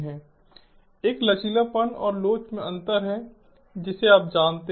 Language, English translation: Hindi, one is the differences in resilience and elasticity, you know